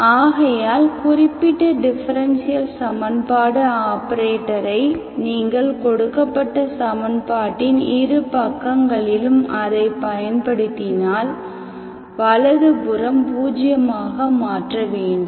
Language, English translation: Tamil, To that particular differential equation operator if you apply both sides of the equation, given equation, so the right hand side you make it 0